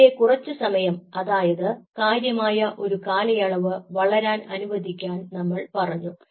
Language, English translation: Malayalam, we said: let them grow for some time you know significant period of time